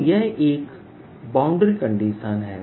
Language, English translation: Hindi, so that's one boundary condition